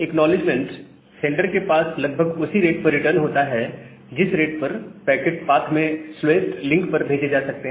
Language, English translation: Hindi, So, the acknowledgement returns to the center at about the rate, that the packets can be sent over the slowest link in the path